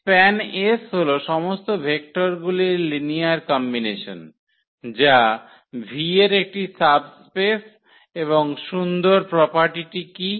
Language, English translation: Bengali, All the linear combinations of the vectors that is the span S, is a subspace of V and what is the nice property